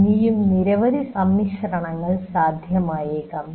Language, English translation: Malayalam, Now, there may be many more combinations possible